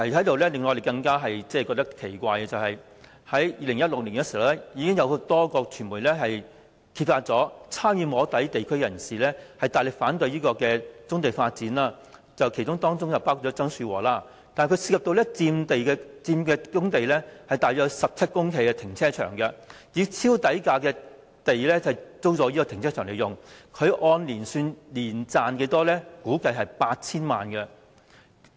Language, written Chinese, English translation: Cantonese, 另一個令人感到奇怪的問題是 ，2016 年已有多間傳媒揭發，曾參與"摸底"會議、大力反對棕地發展的地區人士曾樹和，以超低呎價租用橫洲棕地內被霸佔的部分官地，經營面積約17公頃的停車場，估計他年賺 8,000 萬元。, Another puzzling issue is that in 2016 a number of the media exposed that TSANG Shu - wo a local stakeholder who had participated in the soft lobbying sessions and had strongly opposed the development of brownfield sites had rented at an extremely low price per square foot part of the illegally occupied Government land in a brownfield site at Wang Chau to run a car park covering an area of about 17 hectares . It is estimated that his profit amounts to 80 million per annum